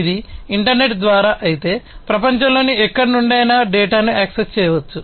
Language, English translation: Telugu, So, if it is through the internet, then, you know, the data can be accessed from anywhere in the world